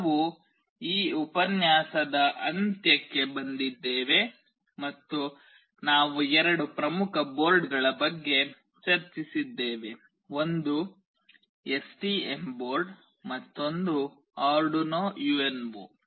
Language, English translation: Kannada, S We have actually come to the end of this lecture and we have discussed about two important boards; one is the STM board another is Arduino UNO